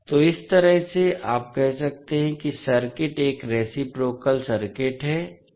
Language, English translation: Hindi, So, in that way you can say that the circuit is a reciprocal circuit